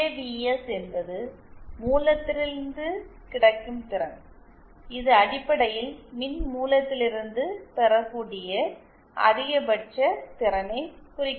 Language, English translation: Tamil, And PAVS is the power available from the source it basically means the maximum power that can be obtained from the source